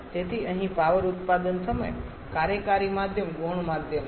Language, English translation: Gujarati, So, here the working medium at the time of power production is a secondary medium